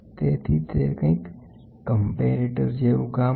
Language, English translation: Gujarati, So, it is something like a comparator